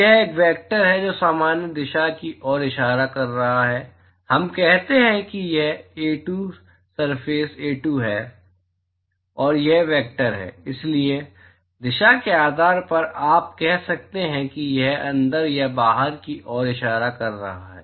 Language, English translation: Hindi, So, it is a vector which is pointing in the normal direction and let us say this is A2, surface A2 and this is the vector so depending on the direction you can say it is pointing inwards or outside